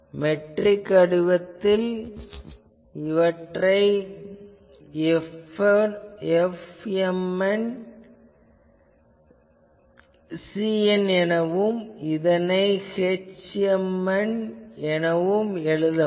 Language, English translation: Tamil, So, this can be written in metric form as F m n C n is equal to h m